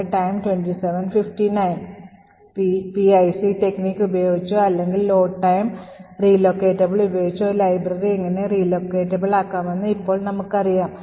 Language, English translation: Malayalam, So now that we know how a library can be made relocatable either using the PIC technique or by Load time relocatable